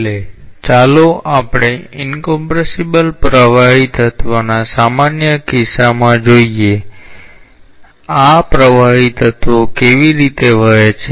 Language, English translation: Gujarati, Finally, let us look into a general case of an incompressible fluid element, how these fluid elements flow